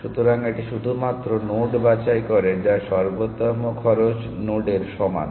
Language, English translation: Bengali, So, it only pick nodes which the better than equal to optimal cost node